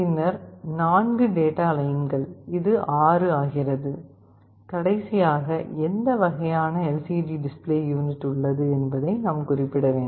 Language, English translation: Tamil, Then the 4 data lines, this makes it 6, and lastly LCD type here, we have to specify what kind of LCD display unit is there